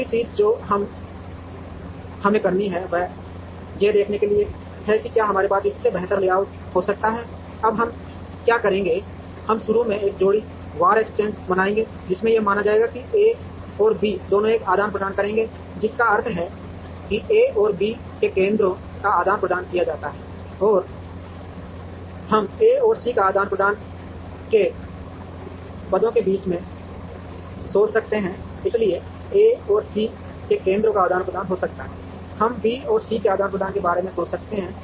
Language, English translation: Hindi, Now, the next thing that we have to do is in order to see whether we can have a better layout than this, what we will do now is, we will create a pair wise exchange by initially assuming that A and B will exchange positions, which means A and B’s centroids are exchanged, we could think of A and C exchanging positions, so A and C’s centroid get exchanged, we could think of B and C exchanging